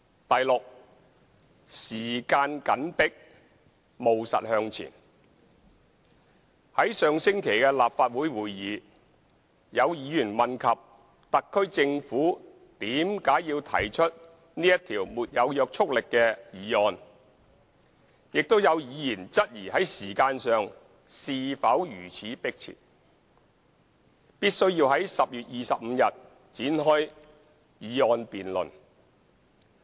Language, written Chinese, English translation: Cantonese, f 時間緊迫務實向前在上星期的立法會會議，有議員問及特區政府為何要提出這項沒有約束力的議案，亦有議員質疑在時間上是否如此迫切，必須要在10月25日展開議案辯論。, f Proceeding with pragmatism within a tight time frame At the Council meeting last week some Members asked why the SAR Government had to propose this motion without legislative effects and some Members likewise questioned whether the time frame was so tight that it was necessary to commence the motion debate on 25 October